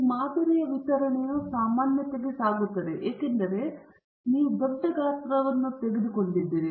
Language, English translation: Kannada, This sampling distribution is tending towards normality because you have taken a large sample size